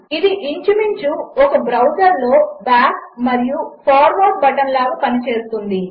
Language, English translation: Telugu, It more or less acts like the back and forward button in a browser